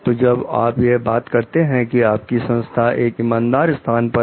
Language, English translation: Hindi, So, when you are talking of your organization is a fair place